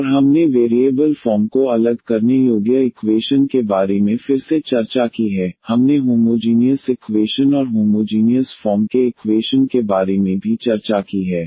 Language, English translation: Hindi, And we have also discussed about the equation reducible to the separable of variable form again, we have also discussed the homogeneous equation and the equation reducible to the homogeneous form